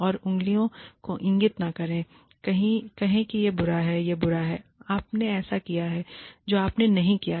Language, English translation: Hindi, And, do not point fingers, and say, this is bad, this is bad, you have done this, you have not